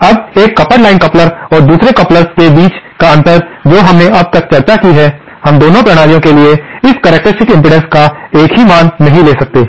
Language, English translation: Hindi, Now, the difference between a coupled line coupler and the other couplers that we have discussed so far is that we cannot take a single value of this characteristic impedance for both the systems